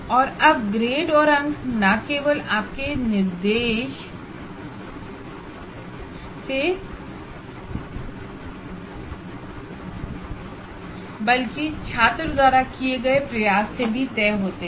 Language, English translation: Hindi, And now the grades and marks are also are decided by not only your instruction, by the effort put in by the student